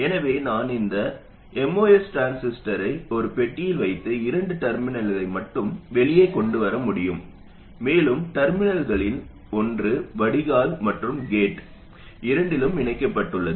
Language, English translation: Tamil, So I could put this most transistor in a box and bring out only two terminals and one of the terminals is connected to both the drain and the gate